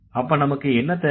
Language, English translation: Tamil, So, then what do we need